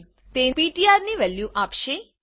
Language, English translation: Gujarati, This is will give the value of ptr